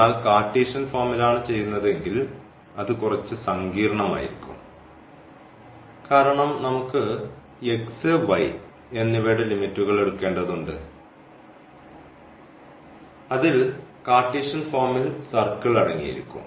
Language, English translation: Malayalam, But if we do in the Cartesian form, then there will be little it will be little bit complicated because we have to now draw the limits of the x and y and that will contain the circle in the in the Cartesian form